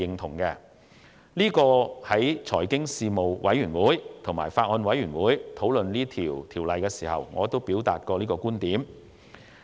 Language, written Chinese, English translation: Cantonese, 在財經事務委員會和法案委員會討論《條例草案》時，我亦曾表達這個觀點。, I have made this point during discussions on the Bill at meetings of the Panel on Financial Affairs and the Bills Committee